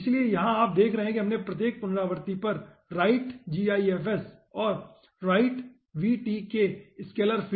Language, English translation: Hindi, so here you see the writing writegifs at every iteration and writevtkscalarfield